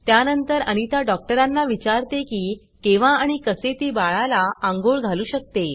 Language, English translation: Marathi, Anita then asks the doctor about when and how can she give the baby a bath